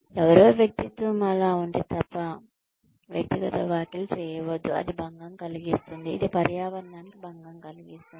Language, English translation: Telugu, Do not make personal comments, unless somebody's personality is so, disturbing that, it disturbs the environment